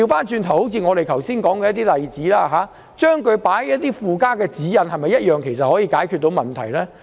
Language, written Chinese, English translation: Cantonese, 就像我剛才所舉的例子，將定義納入附加的指引，是否同樣可解決問題？, Just like the example that I mentioned a moment ago can the problem also be solved by incorporating the definition into the supplementary guidelines?